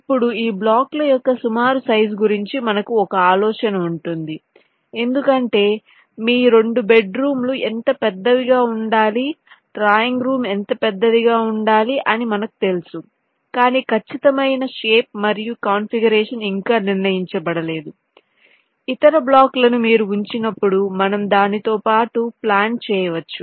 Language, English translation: Telugu, these will be your blocks you want to place that say, right now you have one idea regarding the approximate size of these blocks because you know how big, ah, your two bedrooms should be, how big the drawing room should be, but the exact shape and configuration is not yet decided, that you can plan along with ah the other blocks when your placing them, like, for example, the drawing room